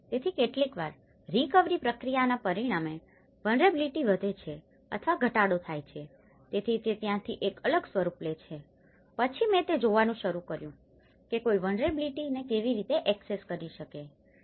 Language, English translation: Gujarati, So sometimes, the vulnerability gets increased or decreased as a result of the recovery process, so that is where it takes into a different form, then I started looking at how one can assess the vulnerability